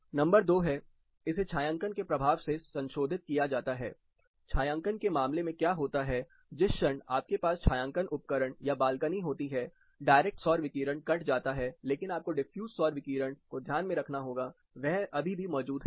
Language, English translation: Hindi, Number two is, it can be modified with the effect of shading, what happens in the case of shading, the moment you have a shading device or a balcony, the direct solar radiation is cut, but you have to keep in mind the defuse solar radiation still exist